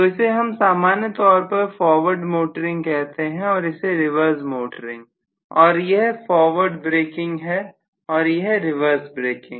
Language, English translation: Hindi, So I would say this is generally forward motoring, this is reverse motoring and this is going to be forward braking and this is reverse braking